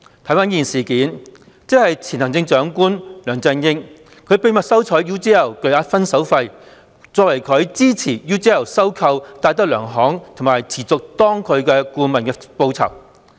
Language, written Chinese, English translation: Cantonese, 回顧此事，即前行政長官梁振英秘密收取 UGL 巨額"分手費"作為他之前協助 UGL 收購戴德梁行和持續擔任該公司的顧問的報酬。, Let me recap this incident . Former Chief Executive LEUNG Chun - ying secretively accepted a substantial parting fee from UGL as a reward for his earlier assistance to UGL in its takeover of DTZ Holdings plc DTZ and agreeing to remain as an adviser of the corporation concerned